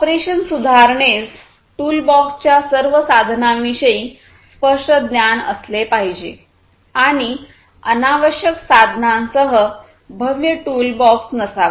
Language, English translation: Marathi, Operation improvement is vital company should have clear knowledge about all tools of the toolbox, and should not have massive toolbox with unnecessary tools